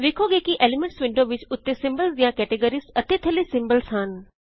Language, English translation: Punjabi, Now the elements window has categories of symbols on the top and symbols at the bottom